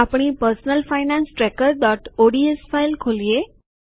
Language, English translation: Gujarati, Let us open our personal finance tracker.ods file